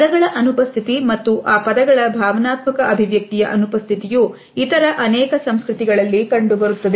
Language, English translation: Kannada, The absence of words, and thus the absence of emotional expression of those words, is found in many other cultures